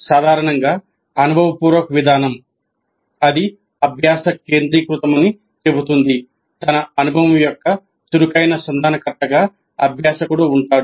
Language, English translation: Telugu, Basically the experience, experiential approach says that it is learner centric, learner as active negotiator of his experience